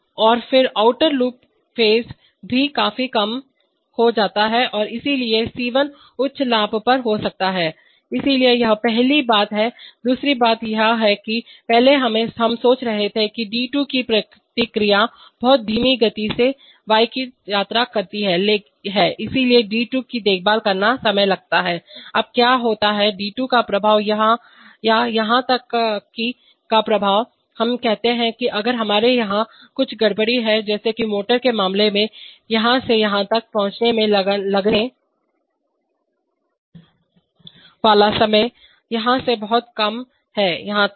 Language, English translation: Hindi, And then the outer loop phase is also reduced significantly and therefore C1 can be a of high gain, so that is the point, second thing is that, previously we were thinking that this response of d2 travels to y much slower so taking care of d2 takes time, now what happens is that the effect of d2 or even the effect of, let us say if we have some disturbance here like in the case of a motor, the time it takes from here to here is much lower than that from here to here